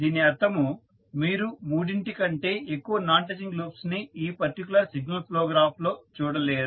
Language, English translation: Telugu, So, set of three or four non touching loops are not available in this signal flow graph